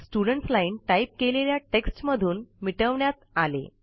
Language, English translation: Marathi, The Students line is cleared of the typed text